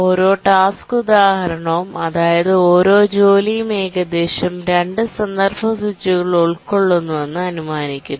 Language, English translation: Malayalam, So we assume that each task instance, that is each job, incurs at most two context switches